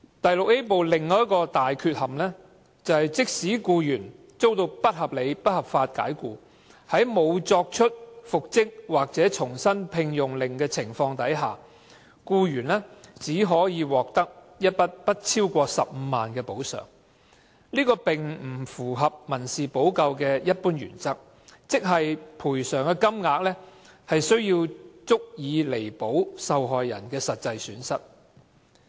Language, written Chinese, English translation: Cantonese, 《條例》第 VIA 部的另一大缺憾，是即使僱員遭到不合理及不合法解僱，在沒有復職或重新聘用令的情況下，僱員只可獲得一筆不超過15萬元的補償，這並不符合民事保障的一般原則，即賠償金額須足以彌補受害人的實際損失。, Another major defect of Part VIA of the Ordinance is that even if an employee is unreasonably and unlawfully dismissed without an order for reinstatement or re - engagement he can only receive a compensation not exceeding 150,000 which is against the general principle of civil protection that is the amount of compensation must be sufficient to cover the victims actual loss